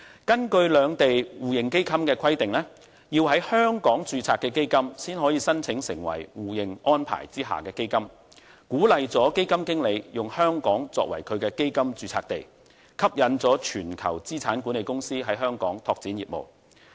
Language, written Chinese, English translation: Cantonese, 根據兩地互認基金的規定，基金必須在香港註冊才可以申請成為互認安排下的基金，這鼓勵了基金經理以香港作為其基金註冊地，吸引全球資產管理公司在香港拓展業務。, Under the MRF arrangement between the Mainland and Hong Kong only qualified public funds registered in Hong Kong can apply for recognition in Mainland China . The arrangement has encouraged fund managers to make Hong Kong the fund domicile and to attract global assets management companies to develop business in Hong Kong